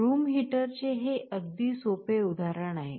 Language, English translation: Marathi, This is a very simple example of a room heater